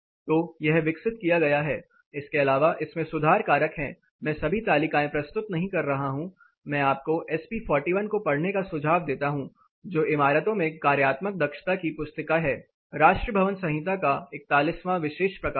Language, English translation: Hindi, So, this is developed, apart from this there are correction factor I am not presenting all the table I will recommend you to read SP 41 that is the hand book of functional efficiency in buildings special publication 41 of national building code